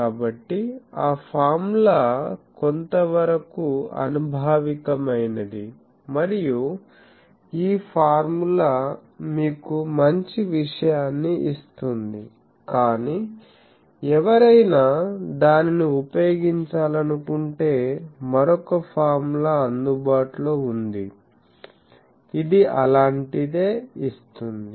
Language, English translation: Telugu, So, that formula is somewhat empirical and this formula gives you good thing, but just in case someone wants to use it another formula is available that gives something like this